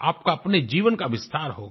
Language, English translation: Hindi, Your life will be enriched